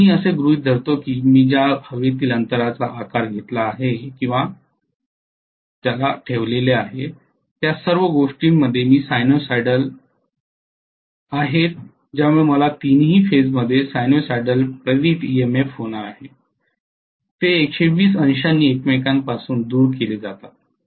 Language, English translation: Marathi, And I am assuming that the air gap I have shaped or windings I have placed and all those things are sinusoidal in nature because of which I am going to have a sinusoidal induced EMF in all the three phases, they are shifted from each other by 120 degrees that is about it